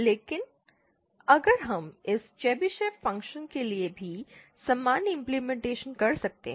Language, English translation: Hindi, But if we, you know, we can have a similar implementation for this Chebyshev function as well